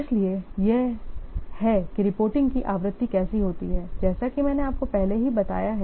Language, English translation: Hindi, So this is how the frequency of reporting it occurs as I have already told you